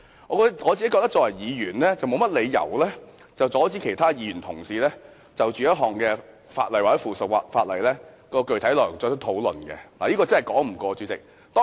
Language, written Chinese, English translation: Cantonese, 我認為作為議員，沒有理由阻止其他議員就某項法例或附屬法例的具體內容進行討論，主席，這真是說不過去。, As a Member I think there is no reason to stop other Members from discussing the details on a particular ordinance or subsidiary legislation . President this is undesirable